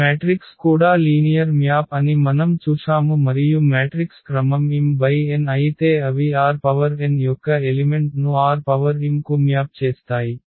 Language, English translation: Telugu, And what we have also seen that these matrices are also linear map and if matrix is of order m cross n then they map the elements of R n to the elements of R m